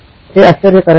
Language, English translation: Marathi, This is amazing